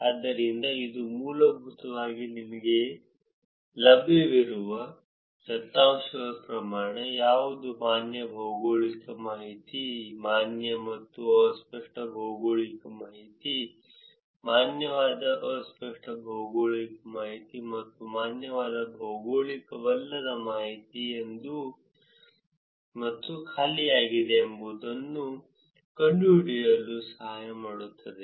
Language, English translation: Kannada, So, this basically would help you to find out, what is the amount of data that is available which is valid geographic information, valid and ambiguous geographic information, valid ambiguous geographic information and valid non geographic information and empty